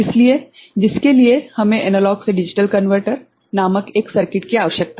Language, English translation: Hindi, So, for which we need to have a something called Analog to Digital Converter